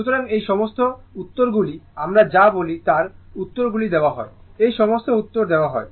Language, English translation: Bengali, So, and all theseyour what we call all these answers are answers are given so, all these answers are given